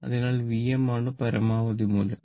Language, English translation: Malayalam, So, V m is the maximum value